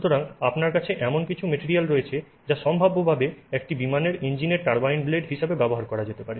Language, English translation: Bengali, So, you have some material system that can potentially be used as a turbine blade for an aircraft engine